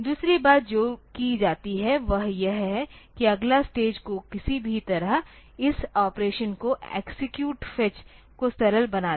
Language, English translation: Hindi, Second third thing that is done is that the next stage is to somehow make this operation of this the execute phase simpler